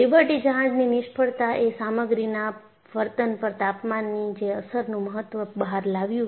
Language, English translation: Gujarati, And Liberty ship failure brought out the importance of temperature effect on material behavior